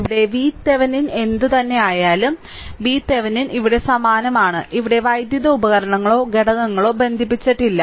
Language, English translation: Malayalam, So, whatever V Thevenin is here, V Thevenin is here same thing no electrical your devices or element is connected here, right